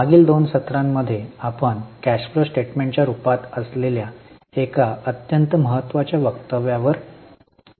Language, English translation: Marathi, In last two sessions, we have been in the very important statements that is in the form of cash flow statement